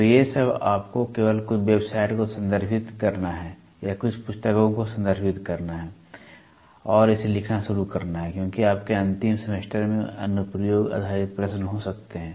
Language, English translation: Hindi, So, these are all just you have to refer some website or refer some books and start writing it down because there can be an application based questions in your end semester, with that